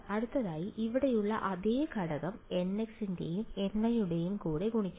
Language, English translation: Malayalam, So, the same component here will get multiplied along n x and along n y right